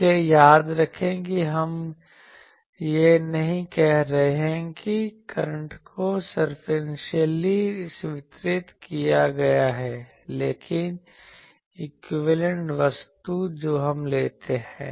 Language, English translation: Hindi, So, remember we are not saying that the current is that current is circumferentially distributed, but equivalent thing that we take